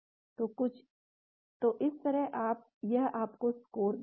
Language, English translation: Hindi, So, this sort of gives you the score